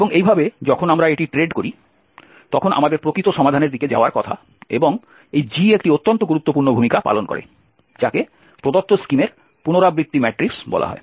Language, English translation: Bengali, And in this way when we trade this we are supposed to go towards the actual solution and this G plays a very important role which is called the iteration matrix of the given scheme